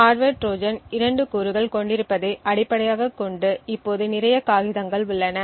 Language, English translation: Tamil, Now a lot of the paper is based on the fact that the hardware Trojan comprises of two components